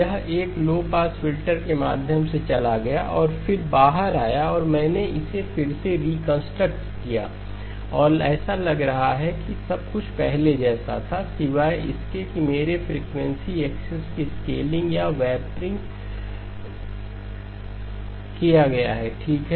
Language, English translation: Hindi, It went through a low pass filter and then came out and I reconstructed it and looks like everything was there as before except that there has been a scaling or a warping of my frequency axis okay